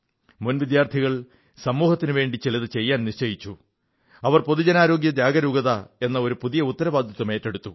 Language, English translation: Malayalam, Under this, the former students resolved to do something for society and decided to shoulder responsibility in the area of Public Health Awareness